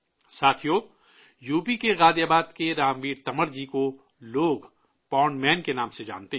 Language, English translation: Urdu, the people of Ghaziabad in UP know Ramveer Tanwar as the 'Pond Man'